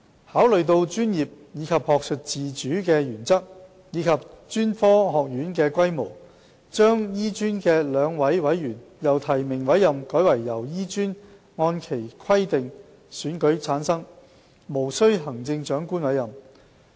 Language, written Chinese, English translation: Cantonese, 考慮到專業及學術自主的原則和專科學院的規模，醫專的2名委員將由提名委任改為經醫專按其規定選舉產生，無須經由行政長官委任。, Having regard to the principle of professional and academic autonomy and the structure of HKAM the two appointed members nominated by HKAM shall be elected in accordance with its rules and regulations and appointment by the Chief Executive is not required